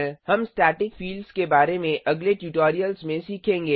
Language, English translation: Hindi, We will learn about static fields in the coming tutorials